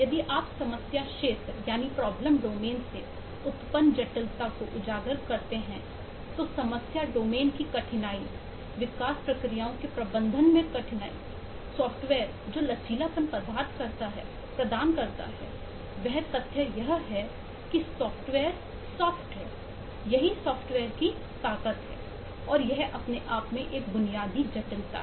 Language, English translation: Hindi, so if I just highlight the complexity arising from problem domain, the difficulty of managing development processes, the flexibility that software offers, the fact that software is soft is a strength of software and that itself is a basic complexity and kind of works often are the weakness of the software